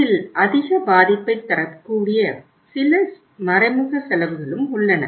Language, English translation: Tamil, These are the some indirect costs which are sometime very heavy